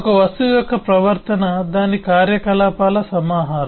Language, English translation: Telugu, the behavior of an object is a collection of its operations